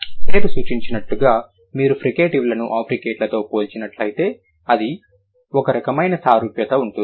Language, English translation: Telugu, As the name suggests, if you compare fricatives with africates, there would be some kind of similarity